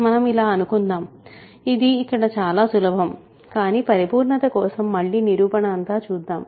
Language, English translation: Telugu, Suppose so, it is very easy here, but I will just go through the proof again for completeness